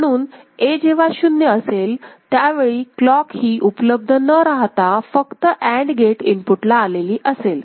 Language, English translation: Marathi, So, when A becomes 0 right, so this clock is not available it is coming up to the AND gate input right